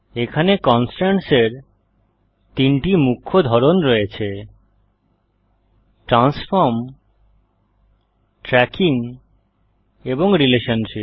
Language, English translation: Bengali, here are three main types of constraints – Transform, Tracking and Relationship